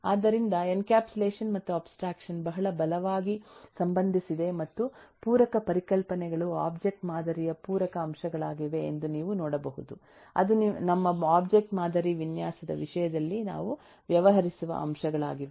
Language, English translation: Kannada, So this is so you can see that, ehhh, encapsulation and abstraction are, uh, very strongly related and complementary concepts, are complementary elements of the object model which we will deal with in terms of our object model design